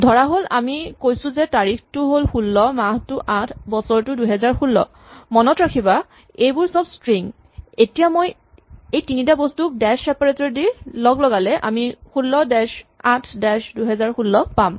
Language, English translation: Assamese, Supposing, we say date is 16, remember these are all strings month is 08, year is 2016, and now I want to say what is the effect of joining these three things using dash as separator and I get 16 dash 08 dash 2016